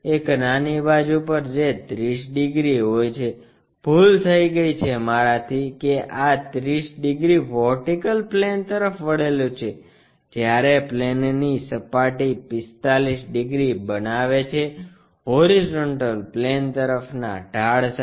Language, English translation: Gujarati, On one small side which is 30 degrees, I am sorry this is 30 degrees inclined to vertical plane, while the surface of the plane makes 45 degrees, with an inclination to horizontal plane